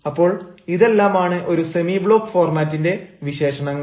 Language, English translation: Malayalam, so these are the characteristics of a semi block format